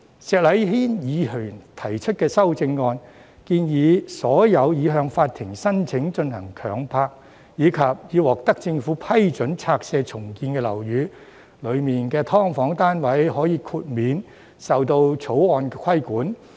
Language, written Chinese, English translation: Cantonese, 石禮謙議員提出的修正案建議，在所有已向法庭申請進行強拍，以及已獲政府批准拆卸重建的樓宇中的"劏房"單位，可以獲豁免受《條例草案》規管。, Mr Abraham SHEK has proposed an amendment to exempt from the Bill tenancies relating to SDUs in buildings for which applications for compulsory sale have been made to the Court and approval for demolition and redevelopment has been obtained from the Government